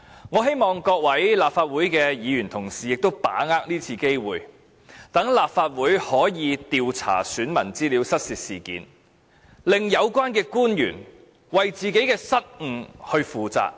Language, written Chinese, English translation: Cantonese, 我希望各位立法會議員同事把握今次機會，令立法會可以調查選民資料失竊事件，使有關官員為自己失誤負責。, I hope Members of the Legislative Council can grasp this opportunity so that the Legislative Council can investigate the incident and the officials concerned can be held accountable for their mistakes